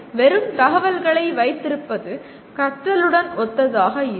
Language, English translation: Tamil, So possession of mere information is not synonymous with learning